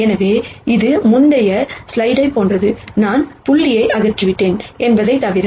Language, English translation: Tamil, So, this is the same as the previous slide, except that I have removed the dot dot dot